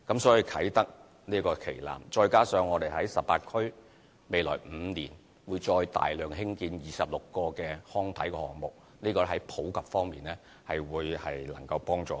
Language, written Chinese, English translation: Cantonese, 所以，啟德體育園這個旗艦，再加上我們在18區未來5年會再大量興建26個康體項目，相信在體育普及方面能帶來幫助。, Therefore I believe that the flagship of Kai Tak Sports Park together with 26 sports and recreation facility projects which we will carry out in the coming five years in 18 districts will help promote sports in the community